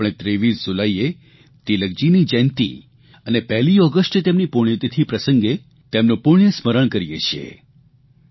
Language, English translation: Gujarati, We remember and pay our homage to Tilak ji on his birth anniversary on 23rd July and his death anniversary on 1st August